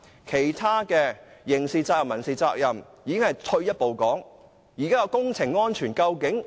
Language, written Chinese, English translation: Cantonese, 其他刑事責任及民事責任已是退一步的說法。, Other issues such as criminal liability and civil liability are of minor importance to us